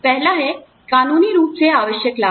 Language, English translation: Hindi, The first one is, legally required benefits